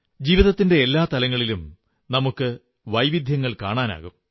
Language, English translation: Malayalam, We observe diversity in every walk of life